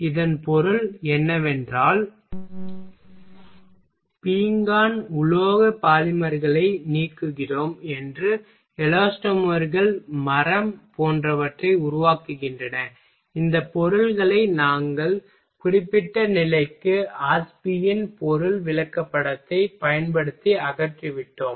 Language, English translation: Tamil, it means now we what we are saying we are eliminating ceramic metal polymers elastomers form wood etcetera these materials we are we have simply eliminated using the Ashby’s material chart for particular condition